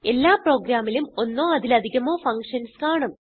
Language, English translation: Malayalam, Every program consists of one or more functions